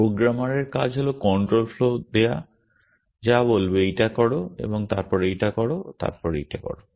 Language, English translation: Bengali, The task of the programmer is to give a control flow, say do this action, then do this action, then do this action